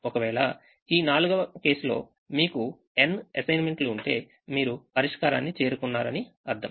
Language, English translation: Telugu, if you have n assignments, in this case four, you have reached the solution